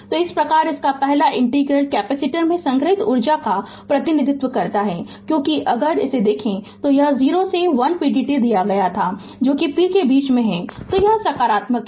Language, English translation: Hindi, So, thus the first integral represents energy stored in the capacitor because, if you look into that it is given 0 to 1 p dt that is in between that p is positive right